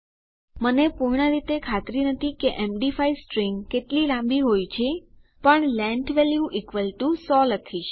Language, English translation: Gujarati, I am not exactly sure how long an md5 string is, but I will say length value = 100